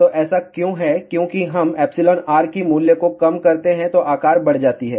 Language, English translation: Hindi, So, why is that because as we reduce the value of epsilon r size increases